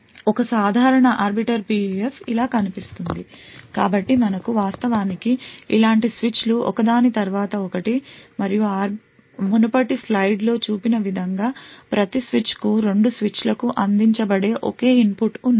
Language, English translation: Telugu, A typical Arbiter PUF looks something like this, so we have actually multiple such switches present one after the other and a single input which is fed to both switches to each switch as shown in the previous slide